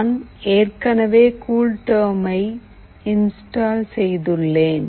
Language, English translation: Tamil, I have already installed CoolTerm and this is how it goes